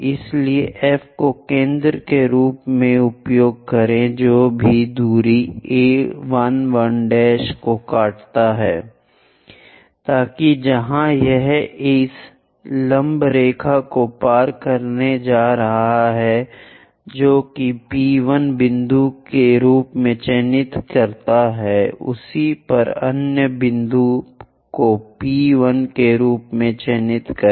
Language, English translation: Hindi, So, use F as center whatever the distance 1 1 prime cut this one, so that where it is going to intersect this perpendicular line that mark as P 1 point similarly mark other point as P 1 prime